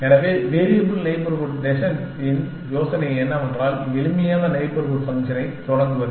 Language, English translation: Tamil, So, the idea of variable neighborhood descent is that, to start with the simplest neighborhood function